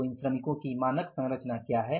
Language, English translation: Hindi, So, what is the standard proposition of these workers